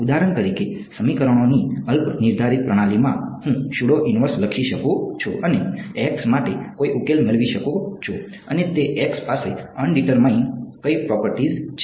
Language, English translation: Gujarati, For example, in an underdetermined system of equations, I can write a pseudo inverse and get some solution for x and that x has what property an underdetermined system